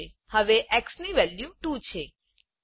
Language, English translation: Gujarati, Now the value of x is 2